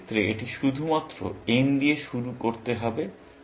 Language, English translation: Bengali, In this case, it is only n to start with